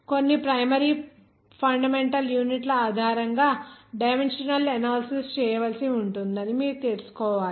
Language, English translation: Telugu, You have to know some primary fundamental units are based on which those dimension analysis to be done